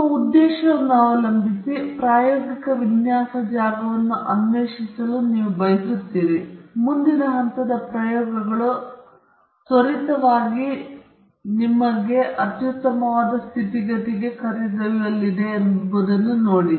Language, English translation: Kannada, So, depending upon your objective, you would like to explore the experimental design space, and see where the next set of experiments are going to quickly lead you to the optimum set of conditions